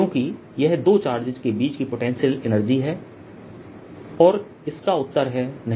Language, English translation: Hindi, because this is the potential energy between two charges